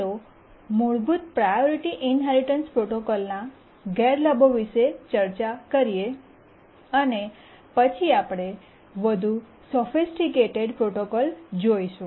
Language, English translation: Gujarati, Now let's first identify these disadvantages of the basic priority inheritance protocol, then we'll look at more sophisticated protocols